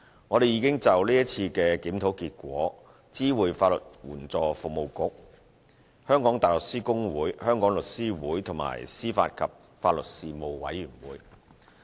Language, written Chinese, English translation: Cantonese, 我們已就是次檢討結果知會法律援助服務局、香港大律師公會、香港律師會，以及司法及法律事務委員會。, We have informed the Legal Aid Services Council the Hong Kong Bar Association The Law Society of Hong Kong and the Panel on Administration of Justice and Legal Services of the outcome of the current review